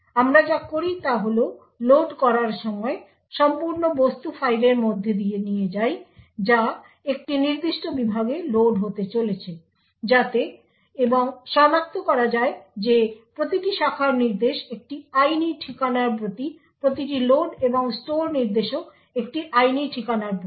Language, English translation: Bengali, So what we do is at the time of loading pass through the entire object file which is going to be loaded in a particular segment so and identify that every branch instruction is to a legal address, every load and store instruction is also to a legal address